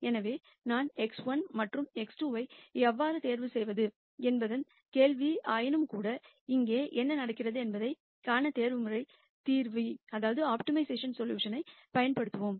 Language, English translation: Tamil, So, the question is how do I choose x 1 and x 2, nonetheless we will use the optimization solution to actually see what happens here